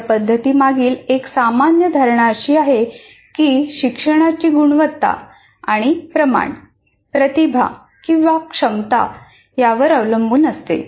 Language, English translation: Marathi, And a common assumption behind this approach is that learning quality and quantity depend on talent or ability